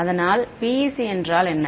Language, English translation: Tamil, So, what is the PEC